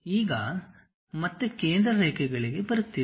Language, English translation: Kannada, Now coming back to center lines